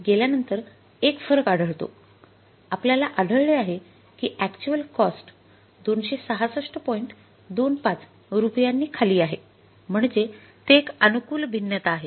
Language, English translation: Marathi, 25 rupees so it is a favourable variance